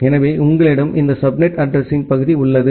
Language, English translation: Tamil, So, you have this subnet addressing part